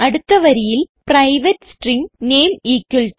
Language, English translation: Malayalam, Next line private string name =Raju